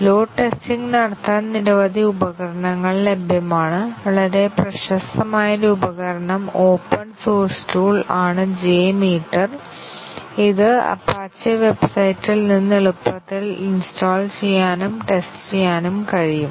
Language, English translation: Malayalam, There are several tools available for doing load testing; one very popular tool open source tool is the J meter, which can be easily installed and tested available from the apache website